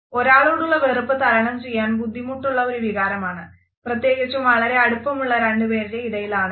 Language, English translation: Malayalam, Hate towards someone is something that is very hard to overcome, especially if it is between an intimate relationship